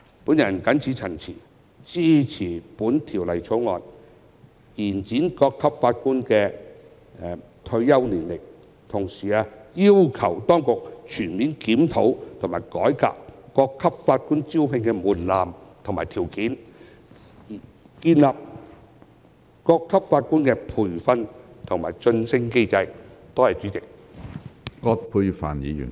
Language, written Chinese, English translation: Cantonese, 我謹此陳辭，支持《條例草案》，以延展各級法院法官的退休年齡，同時要求當局全面檢討及改革各級法院法官的招聘門檻和條件，並建立有關的培訓和晉升機制。, With these remarks I support the Bill which extends the retirement age for Judges at various levels of court . At the same time I request the authorities to conduct a comprehensive review and reform of the threshold and requirements for recruitment of Judges at various court levels and establish a relevant training and promotion mechanism